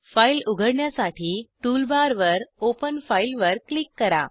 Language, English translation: Marathi, To open the file, click on Open file icon on the tool bar